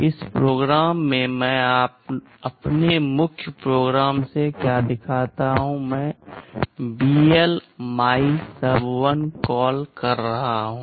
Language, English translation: Hindi, In this program what I am illustrating from my main program, I am making a call BL MYSUB1